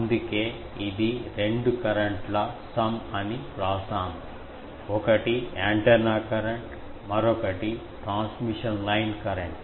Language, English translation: Telugu, That is why we have written that this is sum of two current; one is antenna current, another is the transmission line current